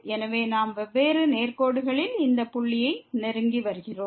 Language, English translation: Tamil, So, we are approaching to this point along different straight lines